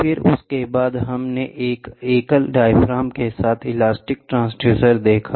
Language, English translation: Hindi, Then after that, we saw elastic transducer, elastic transducer with a single diaphragm